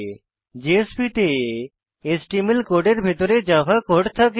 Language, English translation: Bengali, JSPs contain Java code inside HTML code